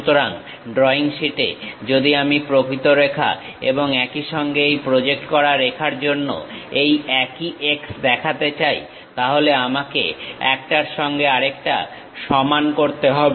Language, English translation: Bengali, So, on drawing sheet, if I am going to represent the same x for that real line and also this projected line; then I have to equate each other